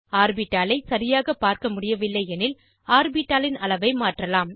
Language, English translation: Tamil, In case you are not able to view the orbital clearly, you can resize the orbital